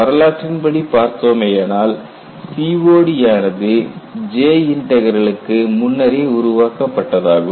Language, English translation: Tamil, Historically, if we look at, COD was developed earlier and J Integral got developed later